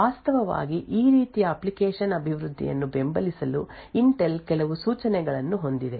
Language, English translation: Kannada, In order to actually support this form of application development Intel has a few instructions